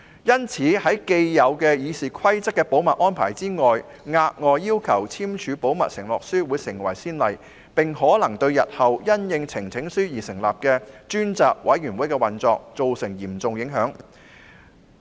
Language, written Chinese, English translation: Cantonese, 因此，在《議事規則》既有的保密安排下，額外要求議員簽署保密承諾書會成為先例，可能對日後因應呈請書而成立的專責委員會的運作造成影響。, Therefore under the existing confidentiality arrangement laid down in RoP any additional requirement for Members to sign a confidentiality undertaking may set a precedent which may create an impact on the operation of select committees formed pursuant to petitions in future